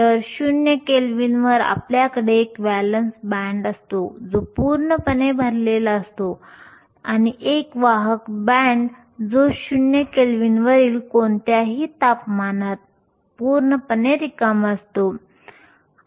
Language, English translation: Marathi, So, at 0 kelvin, you have a valence band that is completely full and a conduction band that is completely empty at any temperature above 0 kelvin